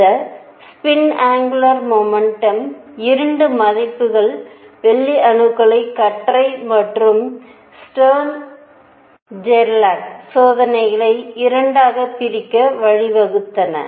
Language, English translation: Tamil, And by the way this 2 values of spin angular momentum are what gave rise to the split of the beam of silver atoms and Stern Gerlach experiments into 2